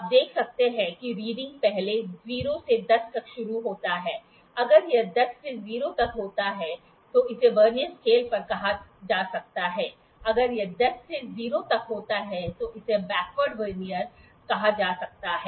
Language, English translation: Hindi, You can see that reading first starts from 0 to 10, had it been from 10 to 0 it might be called as on the Vernier scale on the very had it been from 10 to 0 it might be called as a backward Vernier